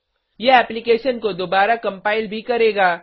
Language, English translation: Hindi, It will also recompile the application